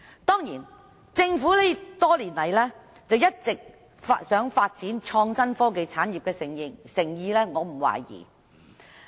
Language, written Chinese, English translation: Cantonese, 當然，對於政府多年來一直希望發展創新科技產業的誠意，我並沒有懷疑。, Certainly I have no doubts about the Governments sincerity in developing the innovation and technology industry over the years